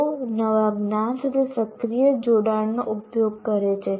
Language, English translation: Gujarati, And they use active engagement with the new knowledge